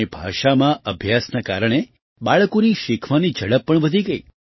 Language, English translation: Gujarati, On account of studies in their own language, the pace of children's learning also increased